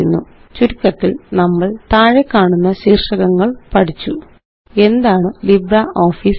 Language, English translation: Malayalam, To summarize, we learned the following topics: What is LibreOffice Math